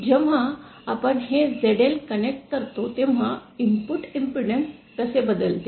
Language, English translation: Marathi, So, when we connect this zl, how does the input impedance change